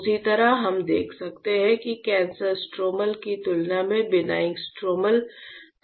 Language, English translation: Hindi, Same way we can see that the benign stromal has a different value compared to cancer stromal